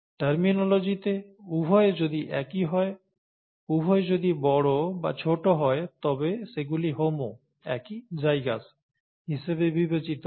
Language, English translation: Bengali, In terms of terminology, if both are the same, and either both capitals or both smalls, then they are considered homo, same, zygous